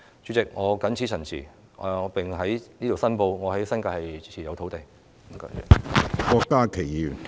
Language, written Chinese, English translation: Cantonese, 主席，我謹此陳辭，並在此申報，我在新界持有土地。, President I so submit and I would like to declare that I own land in the New Territories